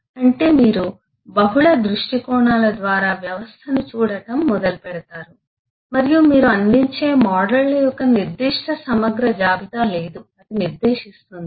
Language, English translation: Telugu, that is, you start looking at the system from multiple angles, through multiple glasses and there is no very specific exhaustive list of models that you will provide that will specify eh